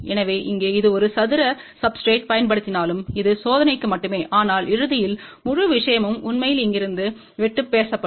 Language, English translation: Tamil, So, this 1 here even though we have used a square substrate, this is just for the testing, but ultimately the whole thing will be actually speaking cut from over here ok